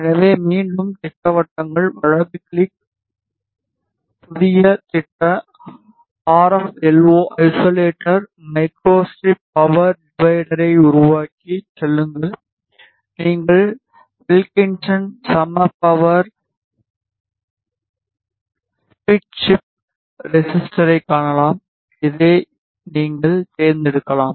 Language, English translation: Tamil, So, again schematics, right click, new schematic RFLO isolator, create and go to elements Microstrip power divider, you can see Wilkinson Equal Power Split chip resistor, you can select this